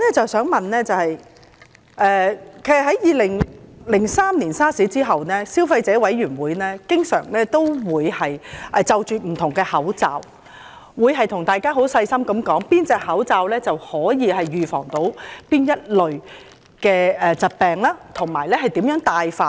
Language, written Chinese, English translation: Cantonese, 自從2003年 SARS 之後，消費者委員會不時會就各類口罩發表專題，詳細分析哪種口罩能預防哪類疾病，並指出正確的佩戴方法。, Since the outbreak of SARS in 2003 the Consumer Council CC has from time to time published reports on the various types of masks analysing in detail which types of masks are effective in preventing which types of diseases and explaining the proper way of wearing them